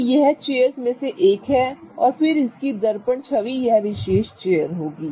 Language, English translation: Hindi, So, this is one of the chairs and then its mirror image will be this particular chair